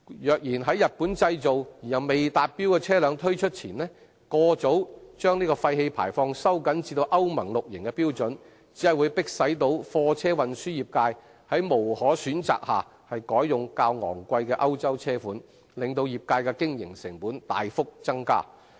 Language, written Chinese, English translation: Cantonese, 若然在日本製造而又未達標的車輛推出前，過早把廢氣排放標準收緊至歐盟 VI 期的標準，只會逼使貨車運輸業界在無可選擇下改用較昂貴的歐洲車款，令業界的經營成本大幅增加。, Pre - mature tightening of the emission standards to Euro VI before introduction of compliant vehicles manufactured in Japan will only force the freight forwarding trade being left with no choice to switch to the more costly European models thereby substantially increasing the operating costs of the trade